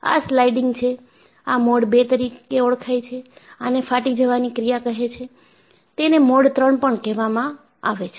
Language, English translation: Gujarati, This is sliding, this is known as mode II and this is a tearing action, this is called as mode III